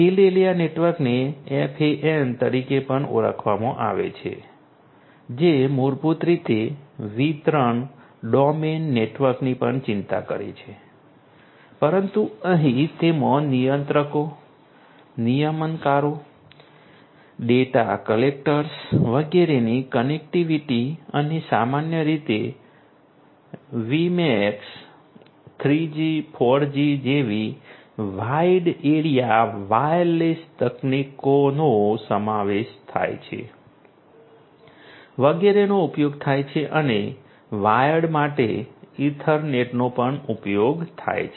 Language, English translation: Gujarati, Field area network also known as FAN, this basically concerns you know distribution domain networks as well, but here it includes the connectivity of the controllers, the regulators, the data collectors, etcetera and typically wide area wireless technologies such as WiMAX, 3G, 4G, etcetera are used and for wired ethernet is also used